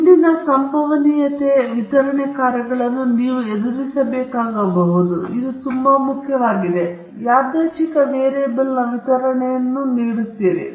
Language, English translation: Kannada, You might have come across probability distribution functions earlier, so this is very, very important, and this gives the distribution of the random variable